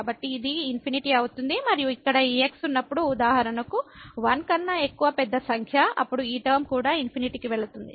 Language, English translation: Telugu, So, this becomes infinity and here whenever this is for example, large number greater than 1, then this term is also going to infinity